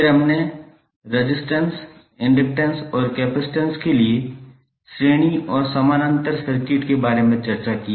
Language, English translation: Hindi, Then we discussed about Series and parallel circuits for resistor, capacitor and inductor